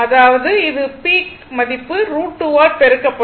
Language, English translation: Tamil, That means, it is peak value will be multiplied by this factor